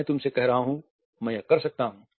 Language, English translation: Hindi, I am telling you, I can do it